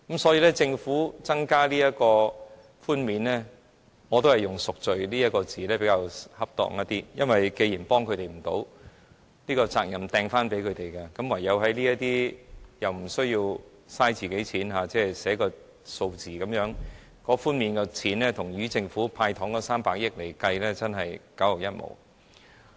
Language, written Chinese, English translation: Cantonese, 所以，政府增加這項免稅額，我覺得以"贖罪"這詞語來形容較為恰當，因為既然幫不了他們，要把責任扔回給他們，便採用這不用花費政府金錢的做法，只是寫個數字便可，但寬免的金額與政府"派糖"的300億元比較，實在是九牛一毛。, Therefore I think that using the phrase atoning its sin to describe this increase in allowance by the Government is more appropriate . As the Government cannot help them and wants to pass the buck back to them so it adopts a method which costs the Government nothing other than simply writing a number . However the concession amount is far beyond comparison with the 30 billion candies given away by the Government